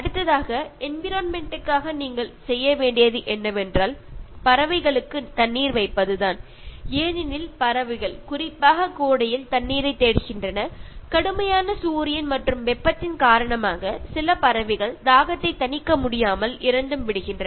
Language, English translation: Tamil, And the next one for environment is keep water for birds, because birds look for water particularly in summer and then when they are not able to quench the thirst some birds even die, because of the scorching Sun and heat